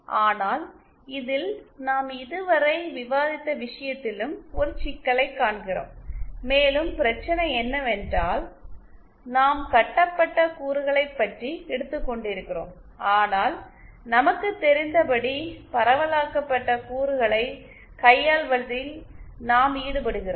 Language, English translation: Tamil, But, we also see a problem in this what we have discussed so far, and the problem is that we have been taking about lumped elements but as we know we hane to deal with distributed elements